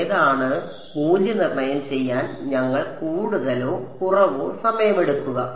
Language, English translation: Malayalam, Which one we will take more or less time to evaluate